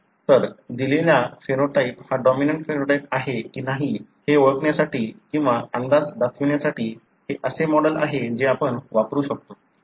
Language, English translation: Marathi, So, this is the model that you can use it to identify or even predict that a given phenotype is dominant phenotype